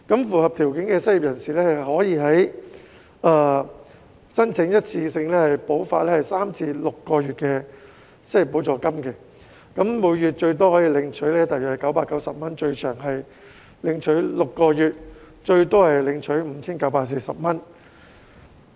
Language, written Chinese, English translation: Cantonese, 符合條件的失業人士可以申請一次性補發3個月至6個月的失業補助金，每月最多可領取大約990元，最長可領取6個月和最多可領取 5,940 元。, Eligible unemployed persons can apply for a one - off unemployment assistance for three to six months subject to a ceiling of RMB 990 per month a maximum period of six months and a maximum amount of RMB 5,940